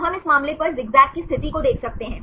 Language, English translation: Hindi, So, we can see the zigzag positions, up and down on this case